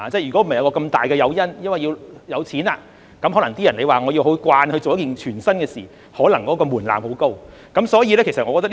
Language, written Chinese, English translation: Cantonese, 如果不是有這麼大的誘因，即是金錢，要某些人習慣做一件全新的事情，門檻可能十分高。, Had there not been such a big incentive namely money it might require a very high threshold to have some people get used to doing something completely new